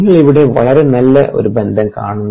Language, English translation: Malayalam, you see a very nice relationship